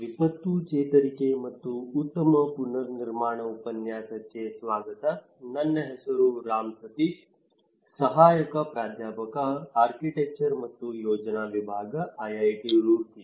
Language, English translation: Kannada, Welcome to the course, disaster recovery and build back better; my name is Ram Sateesh, Assistant Professor, Department of Architecture and Planning, IIT Roorkee